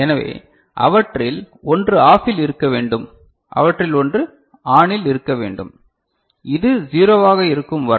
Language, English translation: Tamil, So, one of them need to OFF and one of them need to be ON and as long as this is remaining at 0 and all